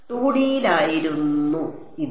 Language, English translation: Malayalam, This was in 2D